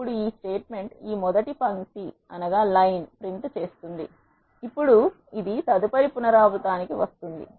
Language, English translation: Telugu, Now this statement prints this first line, now it will go to the next iteration